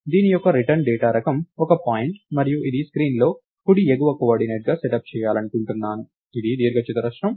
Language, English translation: Telugu, So, the return data type for this is a point and I want this to be setup as the right top coordinate for screen, which is a rectangle